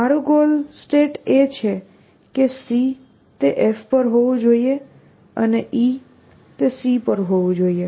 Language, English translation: Gujarati, I say my goal state is that c must be on f and e must be on c that is my goal state